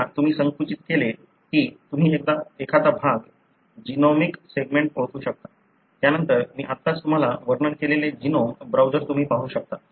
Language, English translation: Marathi, Once you have narrowed down then you can go identify a region, the genomic segment, then you can go and look at the genome browsers just now I described to you